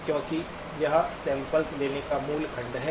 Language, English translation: Hindi, Because that is the basic sections on sampling